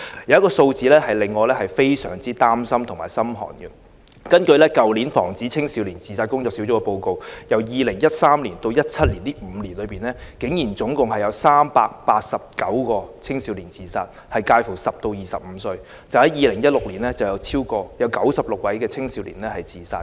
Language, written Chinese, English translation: Cantonese, 有一些數字令人心寒，根據去年防止青少年自殺工作小組的報告，由2013年至2017年的5年內，竟然共有389個青少年自殺，年齡介乎10至25歲，單在2016年便有96個青少年自殺。, Some of these figures are terrifying . According to the report published by the Task Force on Prevention of Youth Suicides last year there were a total of 389 youth suicides in the five years between 2013 and 2017; in 2016 alone 96 people aged between 10 and 25 killed themselves